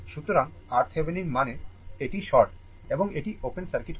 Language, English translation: Bengali, So, R Thevenin means, this is short and this will be open circuit